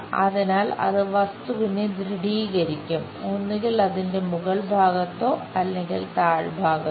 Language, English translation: Malayalam, So, it will be tightening the object either on top or bottom side of that